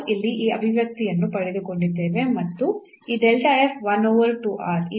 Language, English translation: Kannada, So, we got this expression here and this delta f 1 over 2 r